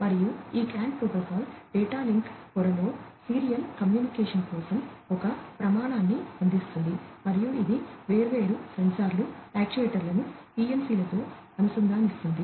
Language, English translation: Telugu, And, this CAN protocol provides a standard for serial communication in the data link layer and it links different sensors, actuators, with PLCs and so on